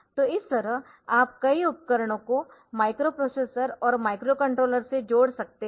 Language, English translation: Hindi, So, this way you can connect a number of devices to the microprocessor and micro controllers